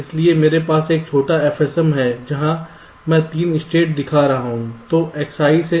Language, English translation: Hindi, i have a small f s m where i am showing three states